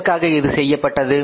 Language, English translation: Tamil, Now why it has been done